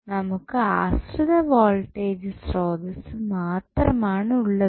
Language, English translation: Malayalam, So, this is dependent voltage source